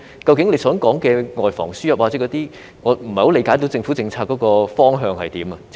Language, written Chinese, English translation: Cantonese, 局長說的外防輸入等方面，我不太理解究竟政府的政策方向為何。, Regarding the prevention of importation of cases and other aspects mentioned by the Secretary I do not quite understand what exactly the Governments policy direction is